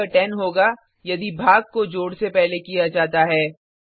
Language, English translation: Hindi, Or it would be 10 if division is done before addition